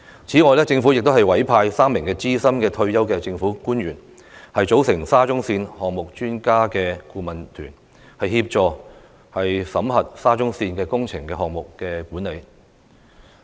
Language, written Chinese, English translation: Cantonese, 此外，政府亦委派3名資深退休政府官員，組成"沙中線項目專家顧問團"，協助檢討沙中線的工程項目管理。, Moreover the Government has appointed three senior retired government officials to form the Expert Adviser Team on Shatin to Central Link Project to assist in reviewing the project management of SCL